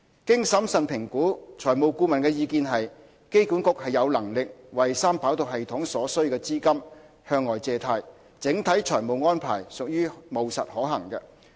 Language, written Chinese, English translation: Cantonese, 經審慎評估，財務顧問的意見是，機管局有能力為三跑道系統所需資金向外借貸，整體財務安排屬務實可行。, After prudent assessment the financial advisor concluded that the AA is capable of raising debt to fund 3RS and the overall financial arrangement for 3RS is practicable and viable